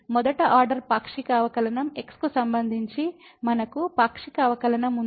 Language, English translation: Telugu, Then we have the partial derivative with respect to the first order partial derivative